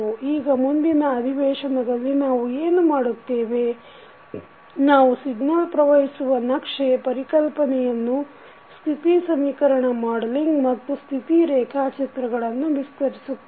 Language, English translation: Kannada, Now, in the next session what we will do, we will use the signal flow graph concept to extend in the modelling of the state equation and the results which we will use in the state diagrams